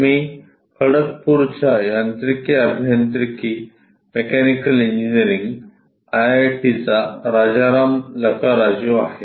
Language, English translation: Marathi, I am Rajaram Lakkaraju from Mechanical Engineering IIT, Kharagpur